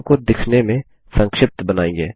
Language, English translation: Hindi, Make the form look compact